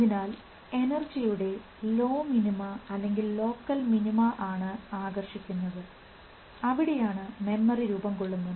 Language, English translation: Malayalam, So, he said this low minimum, local minima of energy is the attractor and that is where memory is formed